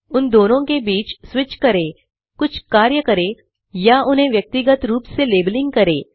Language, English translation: Hindi, Like switch between them, perform some operations or labelling them individually and so on